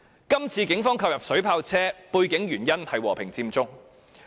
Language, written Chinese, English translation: Cantonese, 這次警方購入水炮車，背後的原因是和平佔中。, The reason behind the Polices acquisition of water cannon vehicles this time around is the peaceful Occupy Central movement